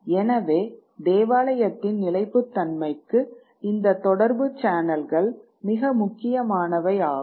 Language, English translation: Tamil, So these channels of communication were very important for the survival of the church